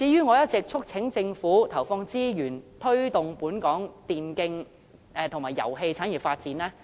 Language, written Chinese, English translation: Cantonese, 我一直促請政府投放資源，推動本港電競及遊戲產業的發展。, I have all along urged the Government to inject resources into promoting the development of Hong Kongs e - sports and game industries